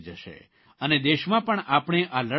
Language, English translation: Gujarati, We shall win this battle